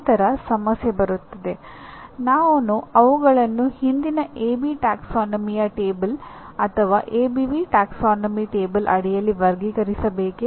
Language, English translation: Kannada, Then the issue come, should I classify them under the earlier AB taxonomy table or ABV taxonomy table